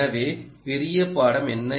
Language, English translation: Tamil, so what is the big takeaway